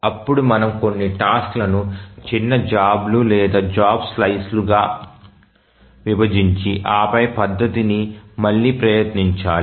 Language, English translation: Telugu, So, then we need to divide some tasks into smaller jobs or job slices and then retry the methodology